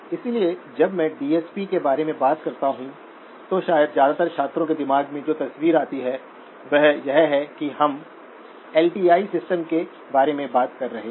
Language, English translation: Hindi, So when I talk about DSP, probably the picture that comes in the minds of most students is that we are talking about LTI systems